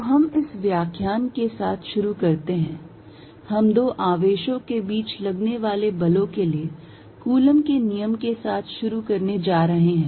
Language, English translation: Hindi, So, we start with in this lecture, we going to start with Coulomb's law for forces between two charges